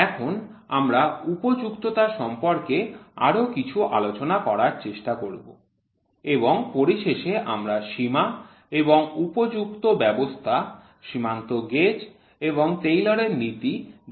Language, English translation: Bengali, Now, we will try to cover some more in fits and finally we will see the systems of limits and fits, limiting gauges and Taylor principle